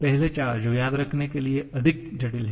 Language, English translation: Hindi, The first 4 that are more complicated to remember